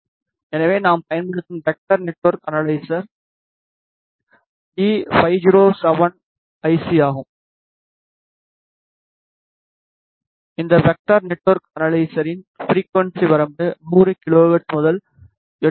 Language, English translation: Tamil, So, the vector network analyzer that we are using is E5071C, the frequency range for this vector network analyzer is from 100 kilohertz to 8